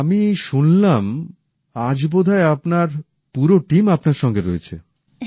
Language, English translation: Bengali, And I heard, that today, perhaps your entire team is also sitting with you